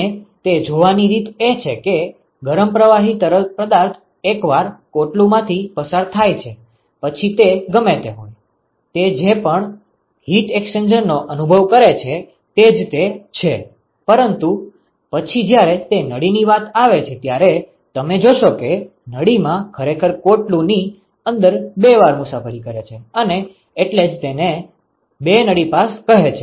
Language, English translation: Gujarati, And the way to see that is the hot fluid goes through the shell once and whatever it; whatever heat exchangers it experiences that is it, but then when it comes to the tube you see that the tube actually travels twice inside the inside the shell and that is why it is called the two tube passes ok